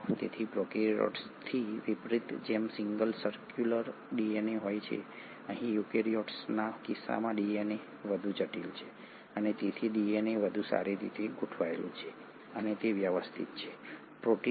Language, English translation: Gujarati, So unlike prokaryotes which have single circular DNA, here in case of eukaryotes the DNA is much more complex and hence the DNA is much better organised and it is organised with the help of protein DNA complex which is what you call as the chromatin